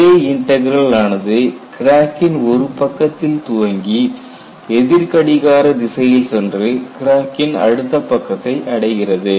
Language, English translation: Tamil, A J Integral starts from one of the crack faces and goes in a counter clockwise direction and stops at the other crack face